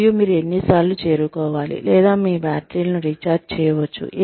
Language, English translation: Telugu, And, the number of times, you will need to reach, or can recharge your batteries